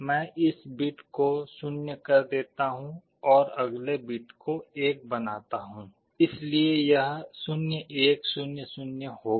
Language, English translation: Hindi, I make this bit as 0, I make the next bit 1: so 0 1 0 0